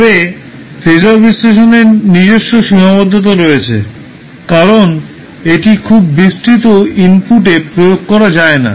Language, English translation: Bengali, But phasor analysis has its own limitations because it cannot be applied in very wide variety of inputs